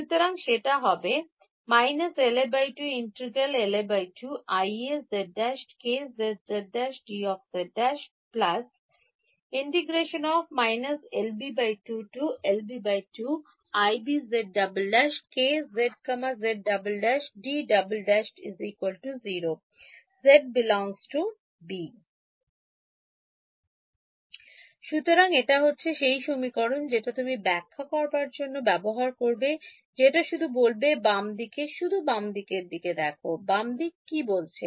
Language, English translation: Bengali, So, this is the expression that you should try to interpret what is just saying that, the left hand side just look at the left hand side, what is the left hand side saying